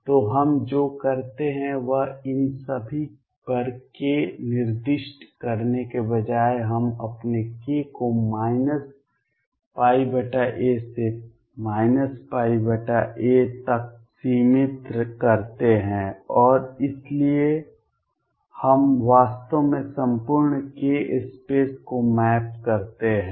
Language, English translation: Hindi, So, what we do is instead of specifying k over all these we restrict our k to within this minus pi by a to pi by a and therefore, then we actually map the entire k space